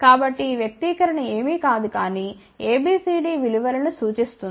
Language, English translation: Telugu, So, this expression is nothing, but ABCD normalize values ok